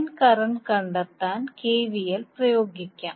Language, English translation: Malayalam, Now let us apply KVL to find out the line current